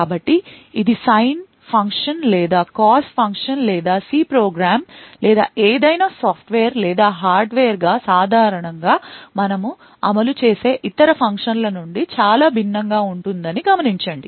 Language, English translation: Telugu, So, note that this is very different from any other function like the sine function or cos function or any other functions that we typically implement as a C program or any software or hardware